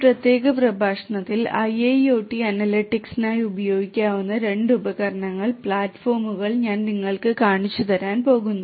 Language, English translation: Malayalam, In this particular lecture, I am going to show you two tools platforms in fact, which could be used for IIoT analytics